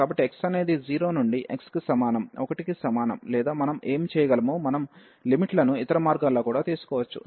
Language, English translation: Telugu, So, x is equal to 0 to x is equal to 1 or what we can do we can take the limits other way round as well